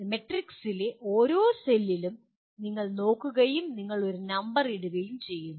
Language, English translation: Malayalam, Then you look at each cell in the matrix and you put a number